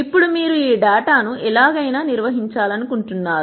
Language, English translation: Telugu, Now you want to organize this data somehow